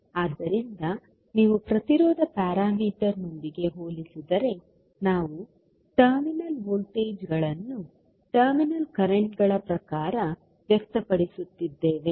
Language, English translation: Kannada, So, if you compare with the impedance parameter, where we are expressing the terminal voltages in terms of terminal currents